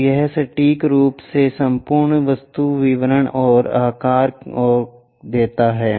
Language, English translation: Hindi, So, it accurately gives that complete object details and shape and size